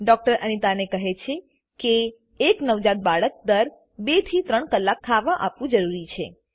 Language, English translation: Gujarati, The doctor tells Anita that a newborn baby needs to be fed every 2 to 3 hours